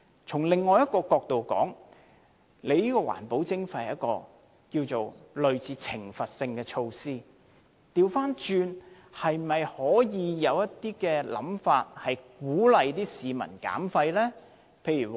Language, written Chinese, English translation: Cantonese, 從另一角度來說，環保徵費是類似懲罰性的措施，可否倒過來有一些鼓勵市民減廢的方法？, From another perspective the environmental levy is similar to a punitive measure . Instead of punishing the public can the Government provide incentives to encourage waste reduction?